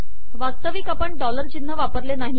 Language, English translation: Marathi, For example, we did not enter the dollar sign at all